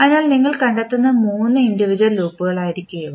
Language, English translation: Malayalam, So, these will be the three individual loops which you will find